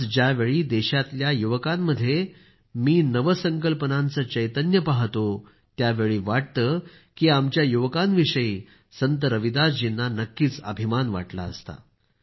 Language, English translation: Marathi, Today when I see the innovative spirit of the youth of the country, I feel Ravidas ji too would have definitely felt proud of our youth